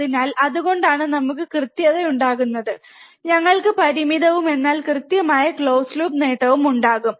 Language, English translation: Malayalam, So, that is why we can have accuracy, we will have finite, but accurate close loop gain, alright